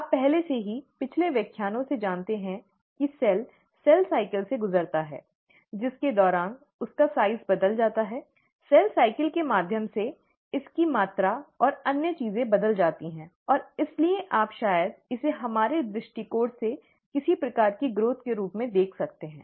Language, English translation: Hindi, You already know from the previous lectures, that the cell goes through a cell cycle, during which its size changes, its volume and other things change as it goes through the cell cycle; and therefore you can probably look at it as some sort of a growth, from our perspective